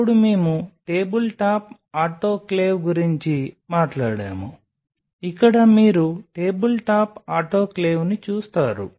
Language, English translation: Telugu, Then we talked about a tabletop autoclave here you see the tabletop autoclave